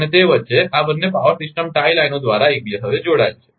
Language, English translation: Gujarati, And in between that, these two power system are interconnected by tie lines